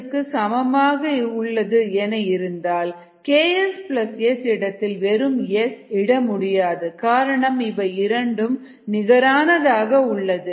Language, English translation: Tamil, you cannot say that you can replace k s plus s with s alone, because both are comparable